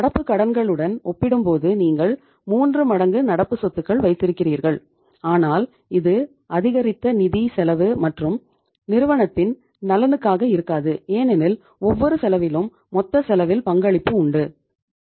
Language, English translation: Tamil, You are keeping 3 times of current assets as compared to current liabilities but it will amount to increased financial cost, increased financial cost and that is not in the interest of the firm because every cost has contribution to the total cost